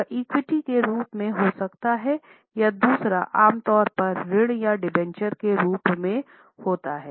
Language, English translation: Hindi, It can be in the form of equity or its second one is normally in the form of loans or debentures